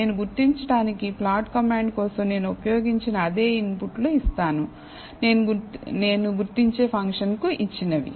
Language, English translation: Telugu, So, I give the same inputs that I have used for the plot command for identify function